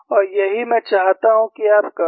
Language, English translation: Hindi, And this is what I would like you to do